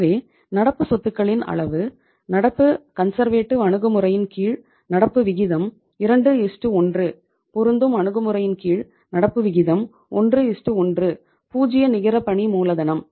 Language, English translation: Tamil, So the level of current assets, under the current conservative approach current ratio is 2:1, under the matching approach current ratio is 1:1, zero net working capital